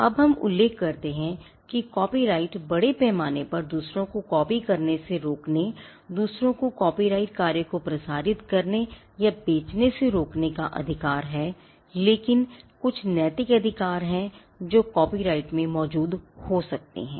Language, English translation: Hindi, Now we mention that copyright largely is the right to prevent others from copying, prevent others from broadcasting or selling the copyrighted work, but there are certain moral rights that could exist in a copyright